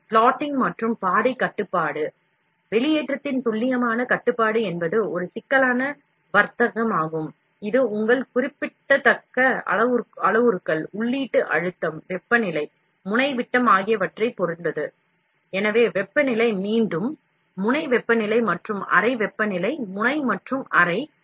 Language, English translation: Tamil, So, plotting and path control, it can be seen that precision control of the extrusion is a complex trade off, dependent on your significant number of parameters, input pressure, temperature, nozzle diameter, so temperature again, nozzle temperature and the chamber temperature, nozzle and chamber